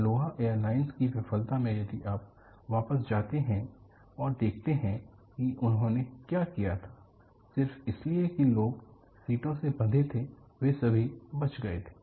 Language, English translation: Hindi, In fact, the Aloha airline failure, if you really go back and look at what they had done, just because the people were tied to the seats, they were all saved